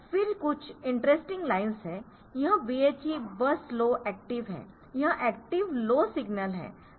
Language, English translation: Hindi, Interesting lines this BHE bus low active as a it is active low signal